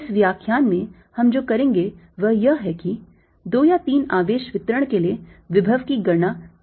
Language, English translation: Hindi, what we will do in this lecture is use this to calculate potentials for a two or three charge distributions